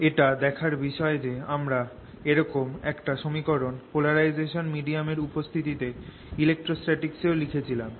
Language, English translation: Bengali, it's interesting that this is very similar to equation we wrote in electrostatics in presence of polarizable medium